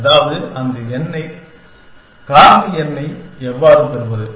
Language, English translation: Tamil, And that is, how we get that number factorial n